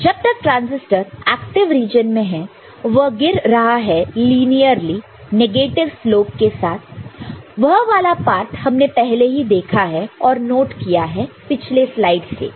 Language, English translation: Hindi, As long as it is remaining in the active region, it is falling linearly with the negative slope – that, that part we have already seen that is what we have already noted in the previous slide ok